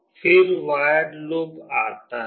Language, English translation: Hindi, Then comes the void loop